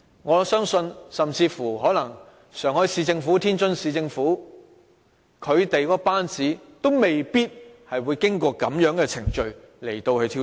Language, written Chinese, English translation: Cantonese, 我相信上海市政府、天津市政府的班子，也未必會經過這樣的程序來挑選。, I believe that the governing teams of the Shanghai Municipal Government and the Tianjin Municipal Government may not be elected through such procedures